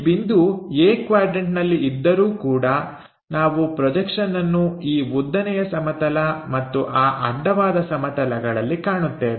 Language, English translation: Kannada, Though it is placed in quadrant A this point, the projections what we are going to see is on this vertical plane and on that horizontal plane